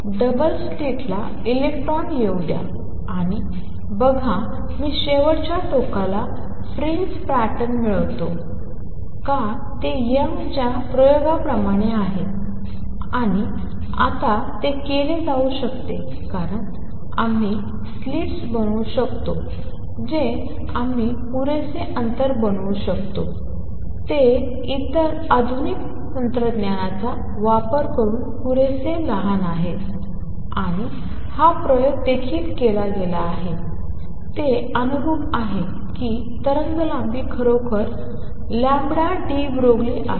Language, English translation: Marathi, So, can I do a Young’s double slit experiment for electrons also can I prepare double slit let electrons come in, and see if I obtain a fringe pattern at the far end is like in Young’s experiment it was done, and now a days it can be done because we can make slits which are small enough we can create distance between them which are a small enough using other modern technology, and this experiment has also been done and that conforms that the wavelength indeed is lambda de Broglie